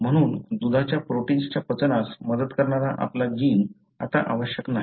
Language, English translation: Marathi, Therefore, your gene which helps in the digestion of milk protein is no longer required